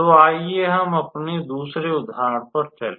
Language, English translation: Hindi, So, let us go to our second example all right